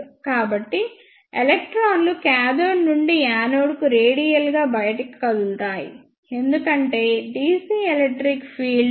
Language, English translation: Telugu, So, the electrons will move radially outwards from cathode to anode because of the dc electric field